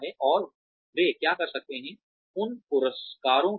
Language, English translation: Hindi, And, what they can do, with those rewards